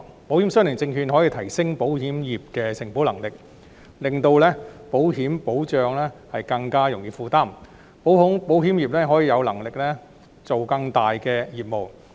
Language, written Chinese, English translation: Cantonese, 保險相連證券可以提升保險業的承保能力，令保險保障更容易負擔，從而令保險業有能力做更大的業務。, ILS can enhance the capacity of the insurance industry make the insurance coverage more affordable and thereby enables the insurance industry to have the capacity to expand its business